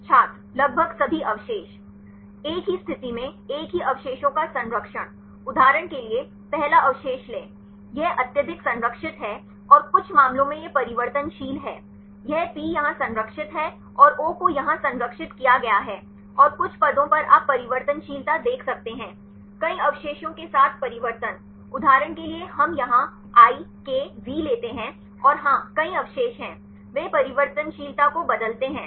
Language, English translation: Hindi, almost all residues Conserve same residue at same position; for example, take the first residue it is highly conserved and some cases it is variable; this is P is conserved here and O is conserved here and some positions you can see the variability; changes with several residues; for example, we take here I, K, V and yes there are many residues; they change the variability